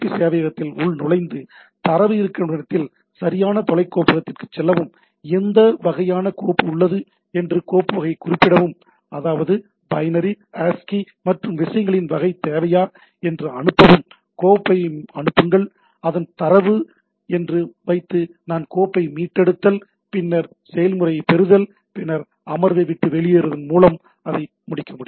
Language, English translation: Tamil, So, it log on to the FTP server navigate to the correct remote directory right to where the data is there, specify the file type that what sort of file is there, send that means, whether you will require binary, ASCII and type of things, send the file, put that is the data if I want to retrieve file, then get process, then terminate the session by quitting it